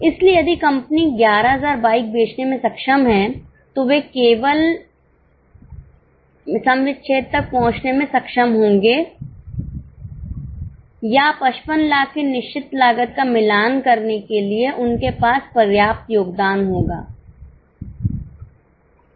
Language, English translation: Hindi, So, if the company is able to sell 11,000 bikes, they would just be able to break even or they would just have enough contribution to match the fixed cost of 55 lakhs